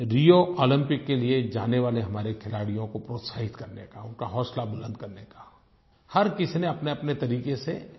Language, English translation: Hindi, To encourage the sportspersons who are leaving for the Rio Olympics, to boost their morale, everyone should try in one's own way